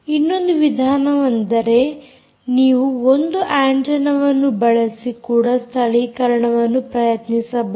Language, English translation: Kannada, another approach is you can use a single antenna and try also localization